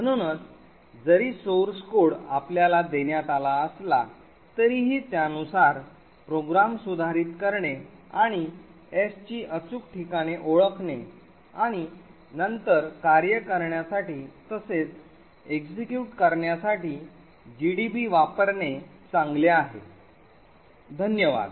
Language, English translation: Marathi, Therefore even though the source code is given to you it would be good to actually use gdb identify the exact locations of s modify the programs accordingly and then execute it in order to get it to work, thank you